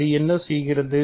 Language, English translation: Tamil, And what does it do